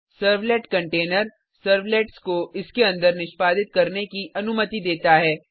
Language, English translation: Hindi, The servlet container allows the servlets to execute inside it